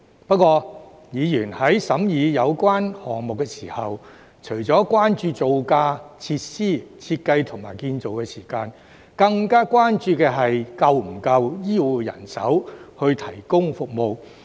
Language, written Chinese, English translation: Cantonese, 不過，議員在審議有關項目時，除了關注造價、設施、設計和建造時間，更關注是否有足夠醫護人手來提供服務。, However when Members considered the relevant projects besides being concerned about the cost facilities design and construction time they are also concerned about whether there is sufficient healthcare manpower to provide services